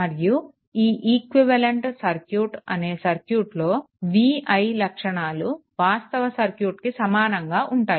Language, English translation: Telugu, And equivalent circuit is one whose v i characteristic are identical with the original circuit